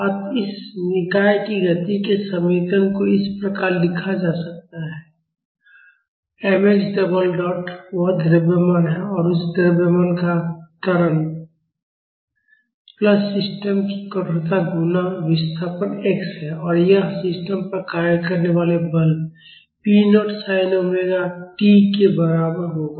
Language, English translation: Hindi, So, the equation of motion of this system can be written as, m x double dot; that is the mass and the acceleration of that mass plus the stiffness of the system multiplied by it is displacement x; and that will be equivalent to the force acting on the system p naught sin omega t(p0sin